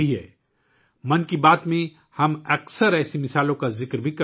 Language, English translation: Urdu, In 'Mann Ki Baat', we often discuss such examples